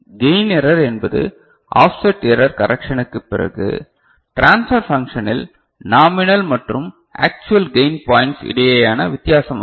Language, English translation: Tamil, So, the gain error is the difference between the nominal and actual gain points on the transfer function after offset error correction